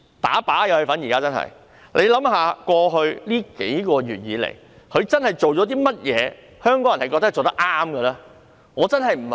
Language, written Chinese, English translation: Cantonese, 大家試想，過去數月以來，她真正做了甚麼是香港人覺得她做得對的呢？, Let us think about it . Over the past few months has she done anything that Hong Kong people think she is right?